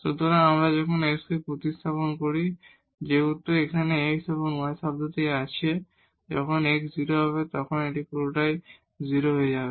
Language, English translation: Bengali, So, when we substitute in this s, since there is a term x and y here in the product when x is 0 the whole term will become 0